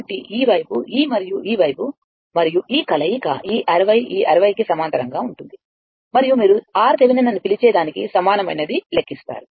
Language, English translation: Telugu, So, this side this one and this side and all all these combination is parallel to your this 60 , this 60 and we will calculate equivalent your what you call R Thevenin, right